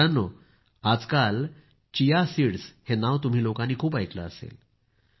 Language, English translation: Marathi, nowadays you must be hearing a lot, the name of Chia seeds